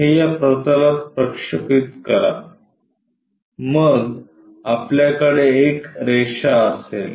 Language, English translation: Marathi, Project this onto this plane then we have a line